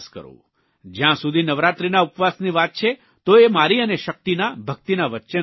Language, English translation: Gujarati, As far as the navaraatri fast is concerned, that is between me and my faith and the supreme power